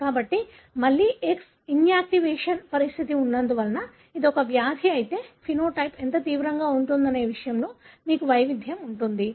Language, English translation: Telugu, So, because again there is X inactivation condition, so you will have variability in terms of how severe the phenotype is if it is a disease